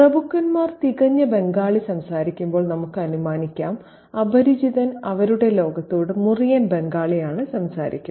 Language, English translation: Malayalam, While the aristocrats speak perfect Bengali, we can assume the stranger to their world speaks broken Bengali